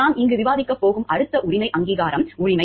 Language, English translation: Tamil, Next right that we are going to discuss over here is the right of recognition